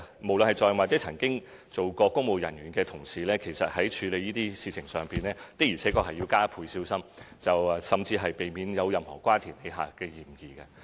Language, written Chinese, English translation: Cantonese, 無論是在任或曾任職公務人員的同事，其實在處理這些事情上，的確要加倍小心，甚至避免有任何瓜田李下的嫌疑。, Regardless of incumbent or former public officers they should exercise extra care in handling these issues and even have to avoid any suspicion